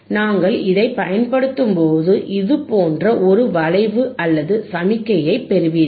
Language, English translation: Tamil, And then when we use this, you will get a curve orlike this, signal like this,